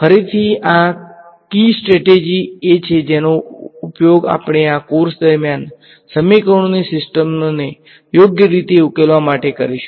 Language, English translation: Gujarati, Again this is the key strategy we will use throughout this course in solving systems of equations right